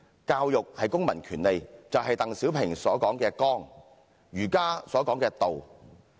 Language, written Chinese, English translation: Cantonese, 教育是公民權利，就是鄧小平說的綱、儒家說的道。, Education is a civil right in other words the core mentioned by DENG Xiaoping and the principle in Confucianism